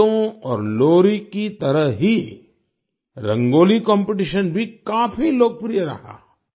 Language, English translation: Hindi, Just like songs and lullabies, the Rangoli Competition also turned out to be quite popular